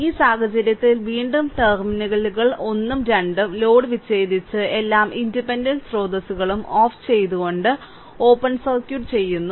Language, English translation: Malayalam, So, in this case, your again terminals 1 and 2 are open circuited with the load disconnected and turned off all the independent sources